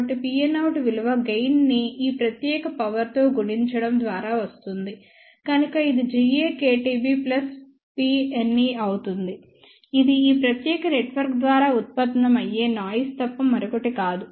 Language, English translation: Telugu, So, p n out will be nothing but gain multiplied by this particular power; so that will be G a k T B plus P n e which is nothing but noise generated by this particular network